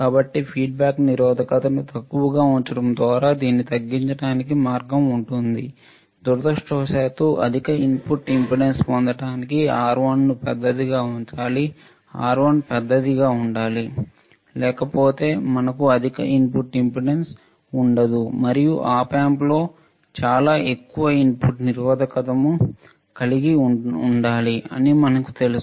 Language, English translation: Telugu, So, when the way to minimize this is by, is by keeping the feedback resistance small, unfortunately to obtain high input impedance R1 must be kept large right R1 should be large otherwise we will not have high input impedance and we know that in Op Amp we should have extremely high input impedance